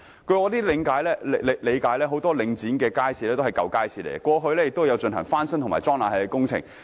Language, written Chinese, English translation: Cantonese, 據我理解，很多領展轄下的街市也是舊式街市，過往亦曾進行翻新和安裝空調工程。, As I understand it many markets owned by the Link Real Estate Investment Trust Link REIT are old markets in which refurbishment works and installation of air - conditioning facilities have been done before